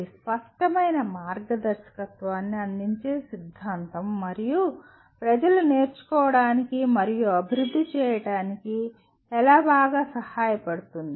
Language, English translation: Telugu, It is a theory that offers explicit guidance and how to better help people learn and develop